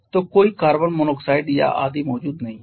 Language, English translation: Hindi, So, there is no carbon monoxide or etc present